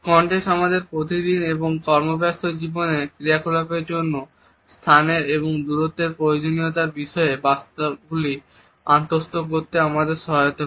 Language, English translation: Bengali, Context helps us in internalizing the messages which are passed on regarding the requirements of a space and distances for functional purposes in our day to day and work life